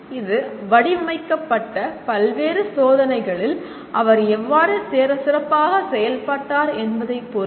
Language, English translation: Tamil, It depends on how well he has performed in various tests that have been designed